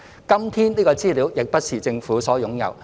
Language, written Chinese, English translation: Cantonese, 今天，這資料亦不是政府所擁有。, Even today this data is not owned by the Government